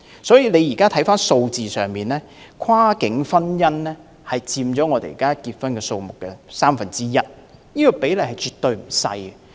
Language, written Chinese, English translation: Cantonese, 在數字上，跨境婚姻佔本港註冊婚姻數字的三分之一，比例絕對不小。, Numerically cross - boundary marriages account for one third of the marriages registered in Hong Kong and the proportion is definitely not small